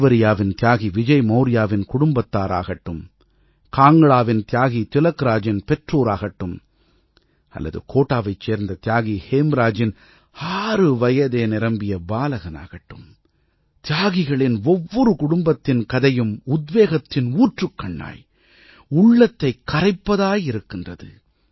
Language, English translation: Tamil, Whether it be the family of Martyr Vijay Maurya of Devariya, the parents of Martyr Tilakraj of Kangra or the six year old son of Martyr Hemraj of Kota the story of every family of martyrs is full of inspiration